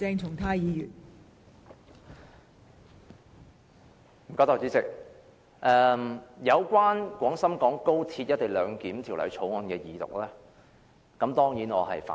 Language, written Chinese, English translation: Cantonese, 代理主席，有關《廣深港高鐵條例草案》二讀，我當然反對。, Deputy President I certainly oppose the Second Reading of the Guangzhou - Shenzhen - Hong Kong Express Rail Link Co - location Bill the Bill